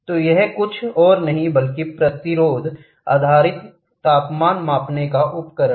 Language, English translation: Hindi, So, this is nothing but resistance based temperature measuring device